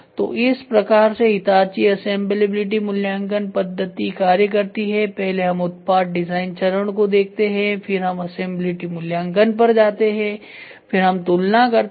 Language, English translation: Hindi, So, this is how the Hitachi assemblability evaluation method is done first we look at the product design step, then we go at assemblability evaluation, then we look at comparison